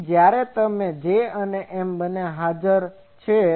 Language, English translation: Gujarati, So, when both J is present and M is present